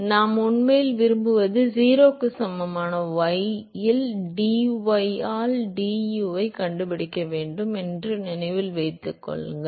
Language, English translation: Tamil, So, remember that what we want really it is to find du by dy at y equal to 0 that is what we want to find